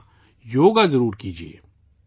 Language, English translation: Urdu, Certainly do yoga